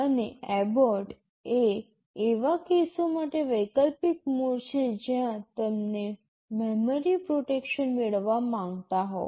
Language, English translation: Gujarati, And abort is an optional mode for cases where you want to have memory protection